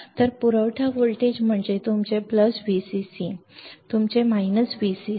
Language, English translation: Marathi, So, what is supply voltage your plus V cc your minus V cc